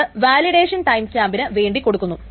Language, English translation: Malayalam, The second is the validation timestamp